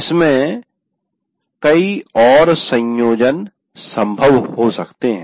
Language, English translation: Hindi, Now, there may be many more combinations possible